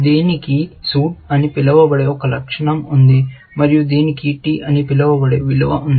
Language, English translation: Telugu, It has one attribute called suit, and it has the value called t